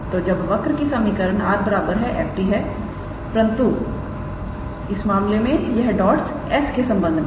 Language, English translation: Hindi, So, when the equation of the curve is r is equals to f t alright, but in this case these dots are with respect to s